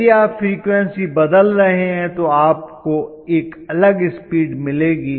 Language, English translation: Hindi, If you are changing the frequency you will get a different speed